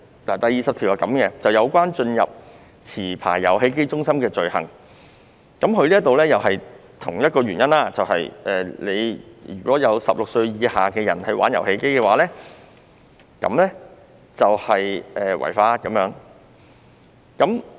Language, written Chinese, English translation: Cantonese, 第20條是有關進入持牌遊戲機中心的罪行，基於同一個原因，如果有16歲以上人士在那裏玩遊戲便屬違法。, Section 20 is about offence in relation to gaining admission to a licensed amusement game centre . For the same reason the playing of games by persons who have attained the age of 16 years violates the law